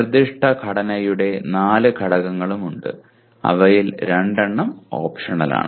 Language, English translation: Malayalam, There are four elements of the proposed structure of which two are optional